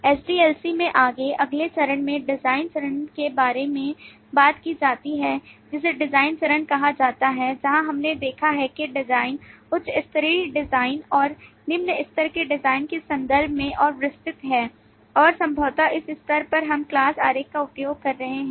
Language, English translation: Hindi, the next phase talks about the design, called the design phase, where we have seen that the design is further detailed in terms of high level design and low level design and possibly at this stage we are making use of the class diagram